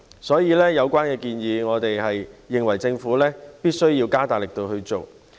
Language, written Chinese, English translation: Cantonese, 所以，對於有關建議，我們認為政府必須加大力度去做。, Hence we consider the Government must dial up the vigour of its efforts at this